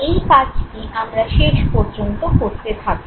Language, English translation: Bengali, That exercise we will continue doing till the end